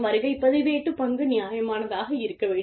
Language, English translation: Tamil, The attendance role, should be reasonable